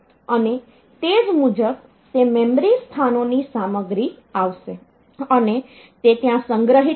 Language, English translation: Gujarati, And accordingly content of those memory locations so they will come and they will be stored there